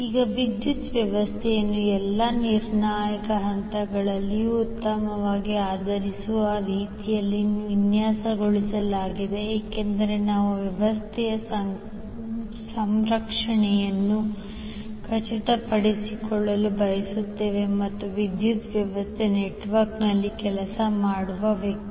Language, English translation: Kannada, Now power system is designed in the way that the system is well grounded at all critical points why because we want to make ensure the safety of the system as well as the person who work on the power system network